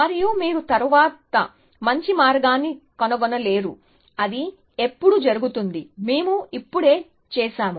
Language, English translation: Telugu, And you would not find a better path later, when does that happen, come on we just did it